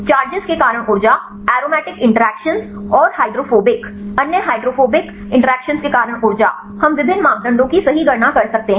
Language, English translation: Hindi, Energy due to the charges, energy due to the aromatic interactions and the hydrophobic other hydrophobic interactions, we can calculate various parameters right